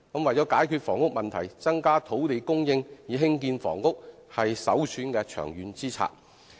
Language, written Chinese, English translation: Cantonese, 為了解決房屋問題，增加土地供應以興建房屋是首選的長遠之策。, Increasing the supply of land for housing construction is the most preferred long - term policy to solve the housing problem